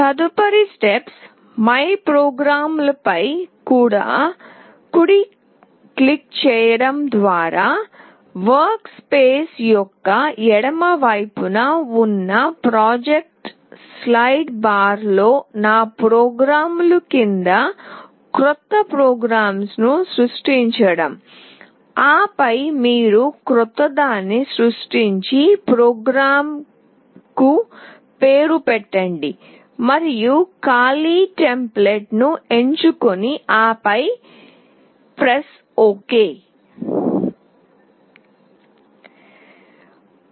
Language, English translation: Telugu, Next step is to create a new program under ‘my programs’ in the project slide bar to the left of the workspace by right clicking on MyPrograms, then you create a new one and name the program and choose an empty template and then you press ok